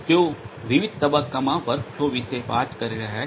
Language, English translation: Gujarati, They are talking about workflow in different phases